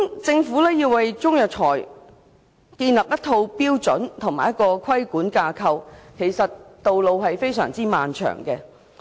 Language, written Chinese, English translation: Cantonese, 政府要為中藥材建立一套標準及規管架構，道路其實非常漫長。, To establish a set of standards and a regulatory framework for Chinese herbal medicines the Government actually has a very long way to go